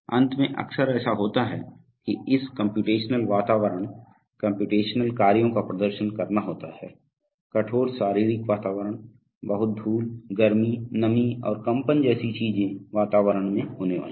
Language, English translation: Hindi, Lastly often it happens that this computational environment, computational tasks have to be performed at very you know, harsh physical environments, environments having lot of dust, heat, moisture, vibrations and such things